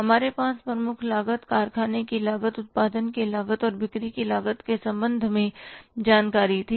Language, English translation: Hindi, We had the information with regard to the prime cost, factory cost, cost of production and cost of sales